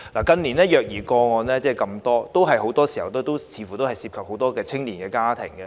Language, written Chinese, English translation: Cantonese, 近年的虐兒個案，很多時候都涉及青年家庭。, The child abuse cases in recent years often involved young families